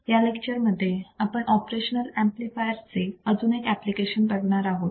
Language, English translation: Marathi, And in this lecture, we will see another application of operational amplifier